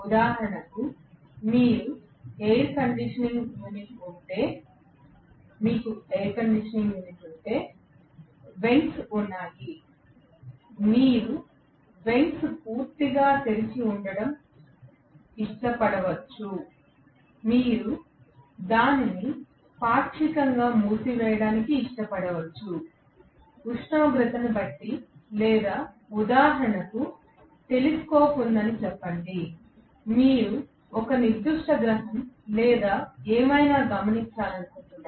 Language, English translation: Telugu, For example, if for you have a air conditioning unit, there are vents, you may like to keep the vents completely open, you may like to partially close it, depending upon the temperature, or for example, let us say there is a telescope, you want to observe a particular planet or whatever, ok